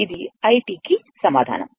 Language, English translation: Telugu, So, this is answer